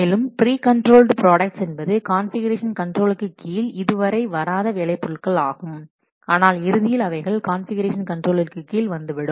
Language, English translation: Tamil, Then pre controlled work products are those work products which are not yet under configuration control but eventually they will be under configuration control may be in near future